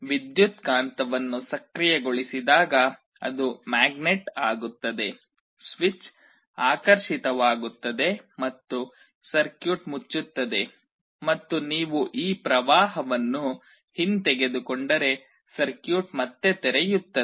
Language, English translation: Kannada, When the electromagnet is activated, it becomes a magnet, the switch is attracted and the circuit closes and if you withdraw the current the circuit again opens